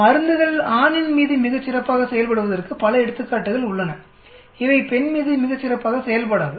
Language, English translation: Tamil, There are many examples where drugs perform very well on male, it does not perform very well on female